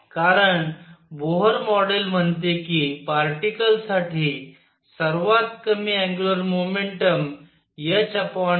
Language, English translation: Marathi, Because Bohr model says that lowest angular momentum for a particle is h over 2 pi